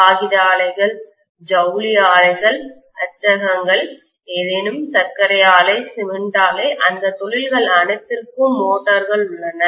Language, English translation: Tamil, Paper mills, textile mills, printing presses, any, sugar mill, cement mill, anything you talk about everything is going to have, all those industries have motors